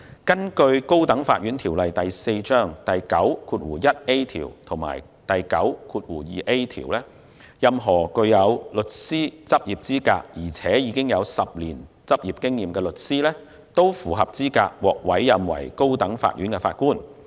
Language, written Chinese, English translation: Cantonese, 根據《高等法院條例》第9條及第9條，任何具有律師執業資格並有10年執業經驗的律師，均符合資格獲委任為高等法院法官。, According to sections 91A and 92A of the High Court Ordinance Cap . 4 a person shall be eligible to be appointed to be a Judge of the High Court if he is qualified to practise as a solicitor of the High Court and has for at least 10 years practised as such